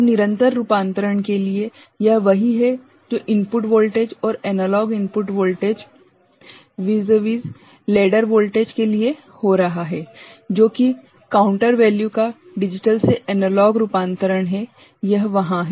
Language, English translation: Hindi, So, for continuous conversion so, this is what you would see happening for the input voltage and the analog input voltage vis a vis the ladder voltage, that is the digital to analog conversion of the counter value, that is there